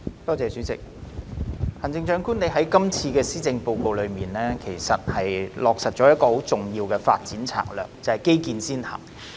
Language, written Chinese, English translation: Cantonese, 行政長官，你在今次的施政報告中落實了一項很重要的發展策略，就是基建先行。, Chief Executive in the current Policy Address you have implemented a very important development strategy that is infrastructure‑led development